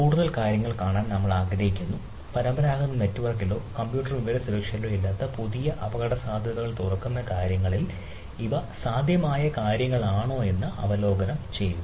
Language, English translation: Malayalam, we want to see a look at, an overview that these are the things possible, or this at the things which open up new risk, etcetera, which are not there in our traditional network or computer or information security